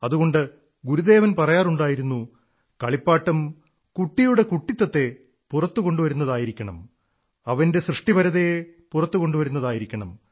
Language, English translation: Malayalam, Therefore, Gurudev used to say that, toys should be such that they bring out the childhood of a child and also his or her creativity